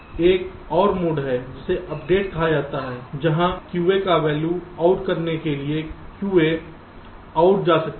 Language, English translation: Hindi, there is another mode, called update, where q a, two out, the value of q a can go to out